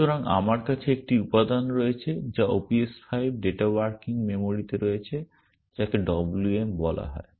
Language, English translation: Bengali, So, I have a element which OPS5 data is in the working memory which is called WM